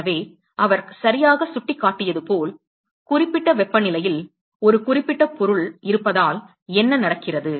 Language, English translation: Tamil, So, as he rightly pointed out what happens is because the there is a certain object which is at certain temperature